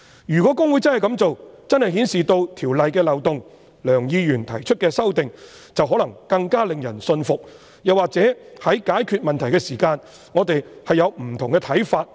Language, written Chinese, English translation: Cantonese, 如果公會真的這樣做，便真的顯示《條例》的漏洞，而梁議員提出的修正案，便可能更令人信服，又或在解決問題時，我們會有不同的看法。, If HKICPA had really done so the loopholes of the Ordinance would be revealed and the amendments proposed by Mr Kenneth LEUNG would be more convincing or we would have different views on solving the problems